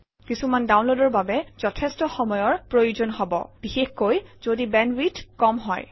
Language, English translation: Assamese, Some of the downloads could take a lot of time especially if the bandwidth is low